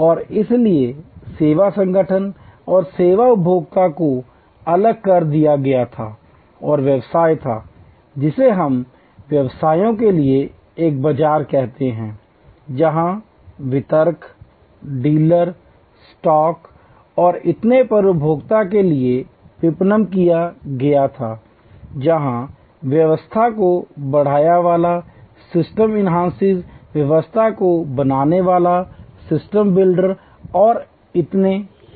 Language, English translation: Hindi, And so service organization and service consumers were separated and the business was what we call market to the businesses, marketed to the consumer in between where distributors, dealers, stock and so on, in between there where system enhancers, system builders and so on